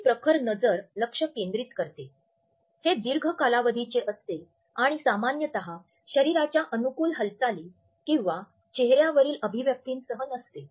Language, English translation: Marathi, Our intense gaze is focused, it is of long duration and normally it is not accompanied by casual of friendly body movements or facial expressions